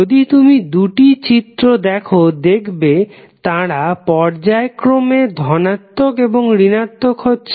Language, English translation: Bengali, So if you see both of the figures they are going to be alternatively positive and negative